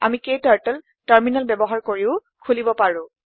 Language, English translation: Assamese, We can also open KTurtle using terminal